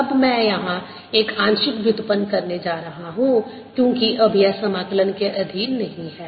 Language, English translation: Hindi, now i am going to put a partial derivative here, because now is this thing is not under the integral sign anymore